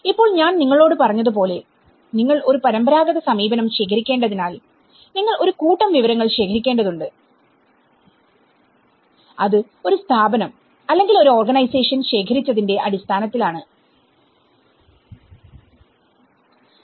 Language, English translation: Malayalam, Now, as I said to you because you have to gather a traditional approach you have to gather a heap of information a variety of information and that is where they are based on by collected by one body or a few organizations